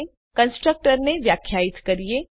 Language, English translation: Gujarati, Now let us define a constructor